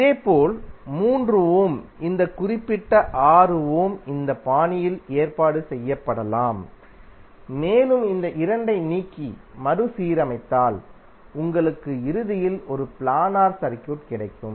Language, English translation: Tamil, Similarly this particular 6 ohm is also can be arranged in this fashion and if you remove this 2 and rearrange you will eventually get a planar circuit